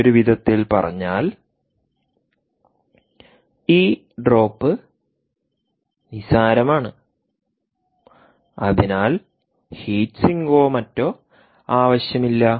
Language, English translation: Malayalam, in other words, this drop is insignificant and therefore no heat sink or anything would actually be required